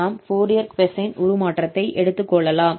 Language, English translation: Tamil, So this is called the inverse Fourier cosine transform